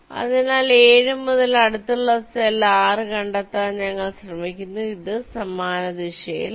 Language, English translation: Malayalam, so from seven, we try to find out an adjacent cell, six, which is in same direction